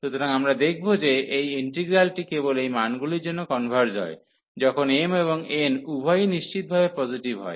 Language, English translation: Bengali, So, we will see that this integral converges only for these values when m and n both are strictly positive